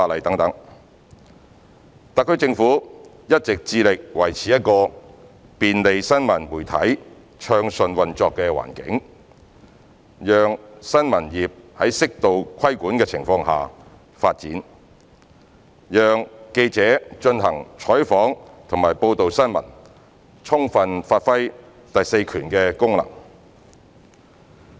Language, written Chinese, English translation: Cantonese, 特區政府一直致力維持一個便利新聞媒體暢順運作的環境，讓新聞業在適度規管的情況下發展，讓記者進行採訪及報道新聞，充分發揮第四權的功能。, The HKSAR Government is committed to maintaining a facilitative environment in which the media industry can develop under appropriate regulation allowing reporters to cover and report news and fully enabling it to exert its function as the fourth estate